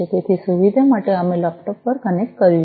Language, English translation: Gujarati, So, for convenience we have connected over laptop